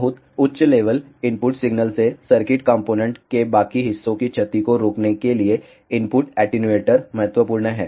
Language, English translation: Hindi, The, input attenuator is important to prevent the damage of rest of the circuit components from a very high level input signal